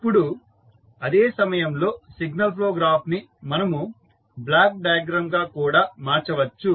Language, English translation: Telugu, Now, at the same time you can transform this signal flow graph into block diagram